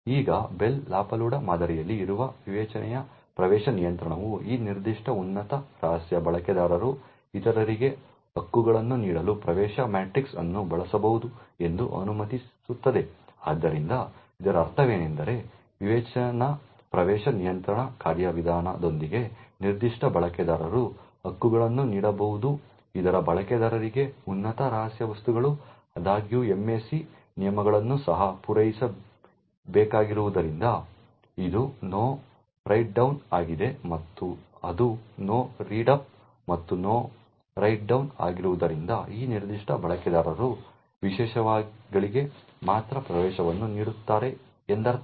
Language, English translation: Kannada, Now the discretionary access control present in the Bell LaPadula model would permit that this particular top secret user could use the access matrix to grant rights to other, so what this means, with the discretionary access control mechanism is particular user can grant rights for the top secret objects to other users, however since the MAC rules also have to be met that is the No Write Down and that is the No Read Up and No Write Down it would mean that this particular user get only grant access to subjects which are at the same top secret level